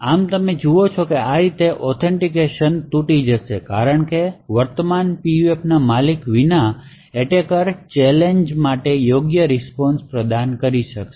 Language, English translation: Gujarati, Thus you see that authentication will break in this way because the attacker without actually owning the current PUF would be able to provide the right responses for challenges